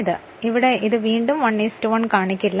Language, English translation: Malayalam, So, here it is not shown again 1 is to 1 right